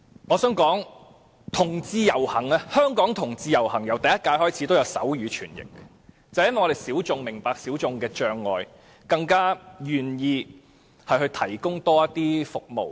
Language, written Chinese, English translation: Cantonese, 我想指出，香港同志遊行由第一屆開始已提供手語傳譯服務，正因為我們是小眾，所以明白小眾的障礙，更願意提供多一些服務。, I would like to highlight that there was already provision of sign language interpretation service since the first Hong Kong Pride Parade . Exactly because we are the minorities we can understand the obstacles encountered by the minorities and are more willing to provide some more service